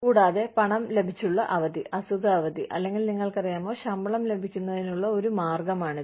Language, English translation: Malayalam, And, paid time off, could be sick leave, or could be, you know, that is one way of getting paid